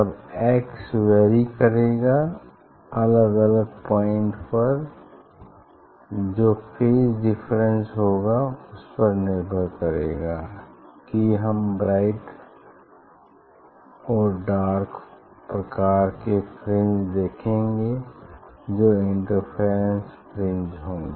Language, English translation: Hindi, Then that x will vary at different points what will be the phase difference depending on that we see b dark b dark this type of fringe that is interference fringe